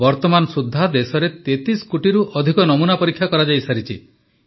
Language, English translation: Odia, So far, more than 33 crore samples have been tested in the country